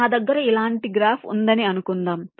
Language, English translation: Telugu, suppose i have a graph like this